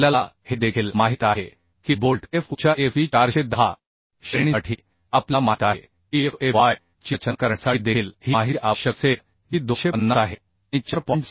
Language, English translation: Marathi, And also we know for Fe 410 grade of bolt Fe we know this data also will be required for designing Fu fy is 250 and for 4